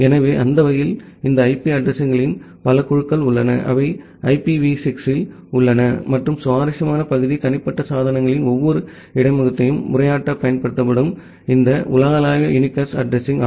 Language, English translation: Tamil, So, that way we have this multiple group of IP addresses, which are there in IPv6 and the interesting part is this global unicast address which are used in addressing every interface of individual devices